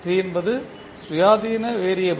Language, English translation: Tamil, t is the independent variable